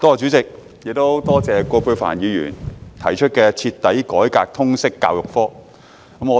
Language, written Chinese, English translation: Cantonese, 代理主席，多謝葛珮帆議員提出"徹底改革通識教育科"議案。, Deputy President my thanks go to Ms Elizabeth QUAT for proposing the motion on Thoroughly reforming the subject of Liberal Studies